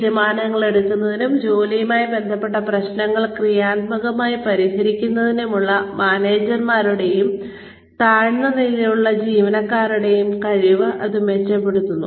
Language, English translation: Malayalam, It improves, the ability of managers, and lower level employees, to make decisions, and solve job related problems, constructively